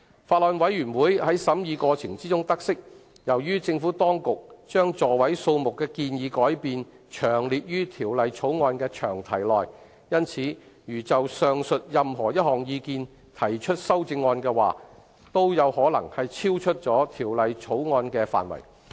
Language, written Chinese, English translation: Cantonese, 法案委員會在審議過程中得悉，由於政府當局將座位數目的建議改變詳列於《條例草案》的詳題內，因此如就上述任何一項意見提出修正案，皆可能超出《條例草案》的範圍。, The Bills Committee noted during the course of scrutiny that since the Administration has specifically set out the proposed change of the seating capacity in the long title of the Bill any amendment proposed to any of the aforesaid proposals might be out of the scope of the Bill